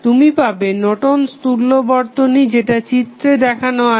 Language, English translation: Bengali, You will get Norton's equivalent as shown in the figure